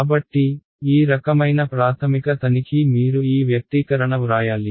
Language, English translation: Telugu, So, this kind of basic check you should do you write down this expression ok